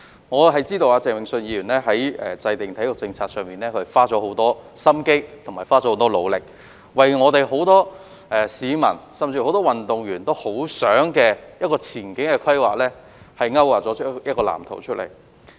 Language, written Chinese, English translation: Cantonese, 我知道鄭泳舜議員在體育政策方面花了很多心思和努力，為廣大市民和很多運動員期望見到的前景規劃勾劃一份藍圖。, I know that Mr Vincent CHENG has put a lot of thoughts and efforts in sports policy and drawn up a blueprint for the future development that the general public and many athletes long for